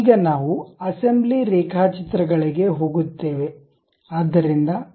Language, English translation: Kannada, Now, we will go with assembly drawings